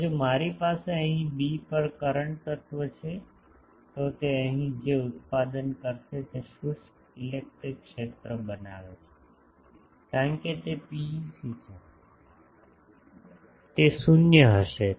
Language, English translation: Gujarati, Now, if I have a current element here at b, then it produce what tangential electric field it will produce here, since it is PEC it will be 0